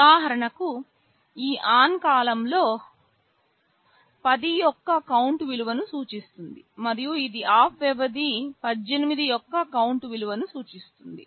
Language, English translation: Telugu, Like for example, this ON period can represent a count value of 10, and this OFF period can represent a count value of 18